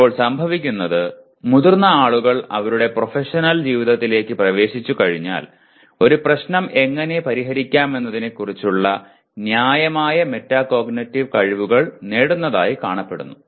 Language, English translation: Malayalam, Now what happens grownup people once they get into their professional life they seem to have acquired reasonable metacognitive skills of how to go about solving a problem